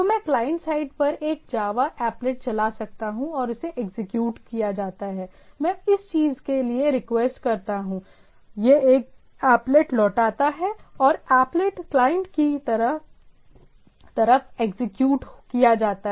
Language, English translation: Hindi, So, I can run a Java applet at the client side and it gets executed, I request for the thing, it returns a applet and the applet goes on being executed at the client side, right